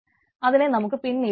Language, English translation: Malayalam, we will see later on